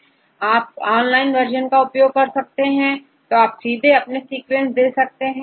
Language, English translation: Hindi, If you like to use the online version just you go to the online version and give your sequence